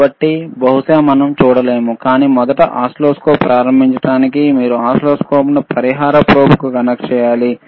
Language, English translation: Telugu, So, probably we cannot see, but to first start the oscilloscope, first to understand the oscilloscope